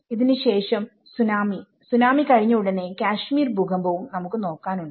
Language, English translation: Malayalam, Then, before that Kashmir earthquake, we have the Tsunami